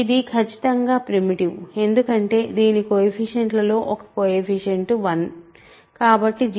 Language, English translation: Telugu, It is certainly primitive because the coefficient one of the coefficients is 1, so the gcd is 1